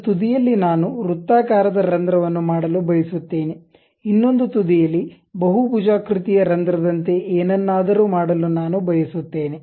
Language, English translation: Kannada, At one end I would like to make a circular hole other end I would like to make something like a polygonal hole